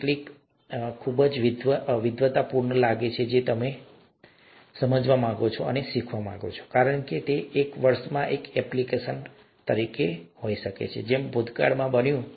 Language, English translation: Gujarati, Sometimes, something that seems very, scholarly, you know, you you want to understand it, you want to learn it just because it is there could have an application within a year as has happened in the past